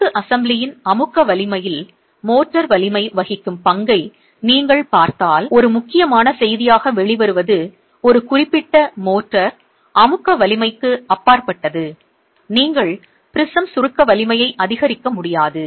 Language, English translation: Tamil, If you are looking at the role that the motor strength will play on the compressive strength of the masonry assembly, what comes out as an important message is beyond a certain motor compressive strength, you cannot increase the prism compressive strength